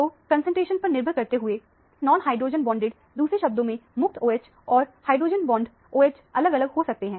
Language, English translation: Hindi, So, depending upon the concentration, the intensity of the non hydrogen bonded; in other words, the free OH and the hydrogen bond OH can be varying